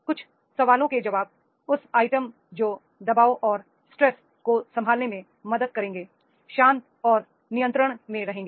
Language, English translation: Hindi, Responses of the certain questions, so that are items that will help the handles pressure and stress, stays calm and in control